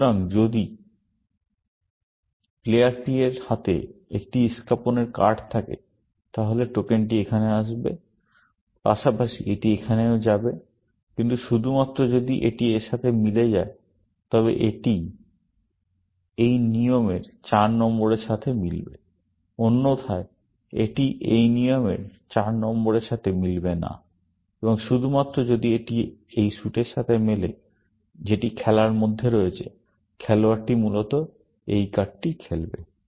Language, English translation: Bengali, So, if there is a spade card held by this player P, the token will come here, as well as, it will also go here, but only if it matches this, it will match this rule number four; otherwise, it will not match this rule number four, and only if this matches this suit, which is in play, will the player played this card, essentially The Rete network is a network, which is a compilation of the rules